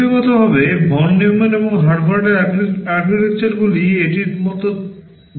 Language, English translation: Bengali, Pictorially Von Neumann and Harvard architectures can be shown like this